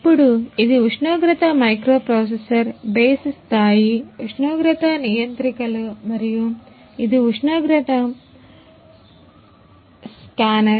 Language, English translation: Telugu, Now this is this is this is the temperature microprocessor base level temperature controllers, and these and this is a temperature scanner